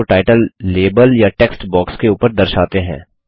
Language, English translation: Hindi, Let us point the mouse over the title label or the text box